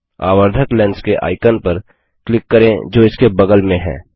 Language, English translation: Hindi, Click the magnifying glass icon that is next to it